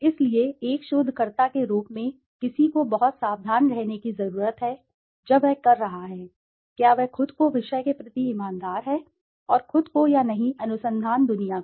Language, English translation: Hindi, So, as a researcher one needs to be very careful, when he is doing, is he honest himself to the subject and himself or not, to the research world